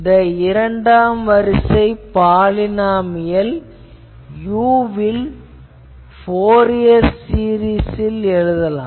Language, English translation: Tamil, So, here also you see that this second order polynomial can be written as a Fourier series in u